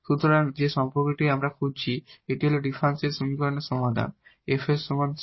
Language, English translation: Bengali, So, that is the relation we are looking for and this is the solution of this differential equation f is equal to c, this is the solution of this exact differential equation